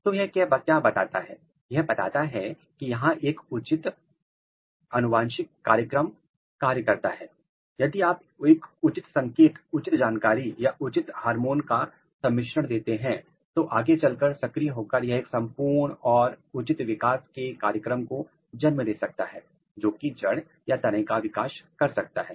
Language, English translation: Hindi, So, what it tells that it tells that there are the genetic program, if you give a proper signal, if you give a proper information or proper hormonal combination you can eventually activate a full and proper developmental program for the shoot development as well as root development